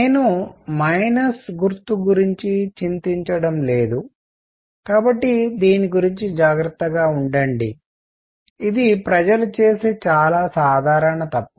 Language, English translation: Telugu, I am not worrying about the minus sign, so be careful about this; this is a very common mistake that people make